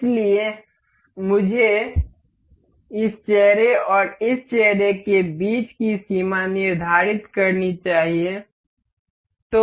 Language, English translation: Hindi, So, I must I have set the limit between this face and this face